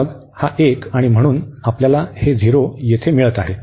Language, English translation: Marathi, Then this one, and therefore we are getting this 0 there